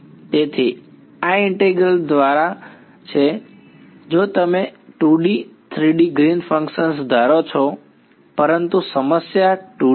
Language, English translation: Gujarati, So, this is by integral so, if you assume 2D 3D Green’s function, but the problem is 2D